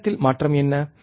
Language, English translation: Tamil, What is change in the time